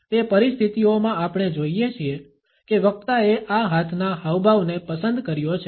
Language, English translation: Gujarati, In those situations when we find that the speaker has opted for this hand gesture